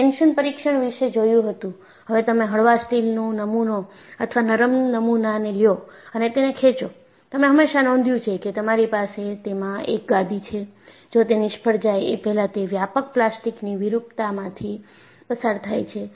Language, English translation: Gujarati, See, you had seen a tension test; you take a mild steel specimen or a ductile specimen and pull it, you have always noticed, you have a questioning; it goes through extensive plastic deformation before it fails